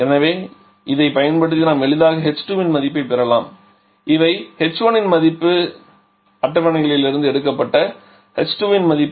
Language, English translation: Tamil, So, using this we can easily get the value of h 2 also so these are value of h 1 this is a value of h 2 taken from the tables what other points we know